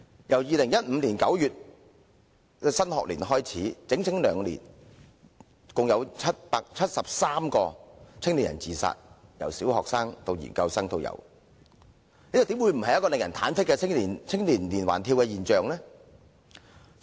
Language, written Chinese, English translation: Cantonese, 由2015年9月的新學年至今，兩年已有合共73名年輕人自殺，由小學生到研究生也有，這怎不會不是令人忐忑的青年連環跳樓現象？, Since the new academic year in September 2015 a total of 73 young people committed suicide in two years ranging from primary students to postgraduate students . How can we deny that the trend of young people jumping from height is disturbing?